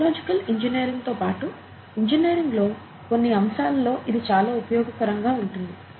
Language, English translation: Telugu, They are very useful in some aspects of engineering, including biological engineering